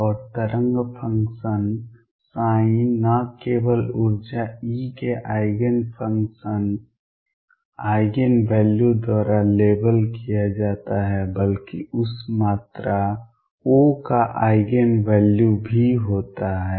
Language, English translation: Hindi, And the wave function psi is not only labeled by Eigen function Eigen value of energy e, but also the Eigen value of that quantity O